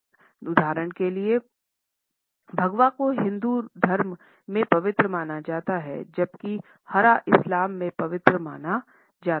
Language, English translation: Hindi, For example, Saffron is considered sacred in Hinduism whereas, green is considered to be sacred in Islam